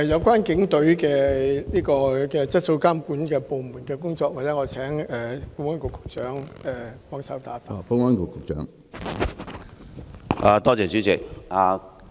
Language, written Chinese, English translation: Cantonese, 關於警隊質素監管部門的工作，我請保安局局長協助回答。, Regarding the work of the Polices service control department I would like to ask the Secretary for Security to help me answer this question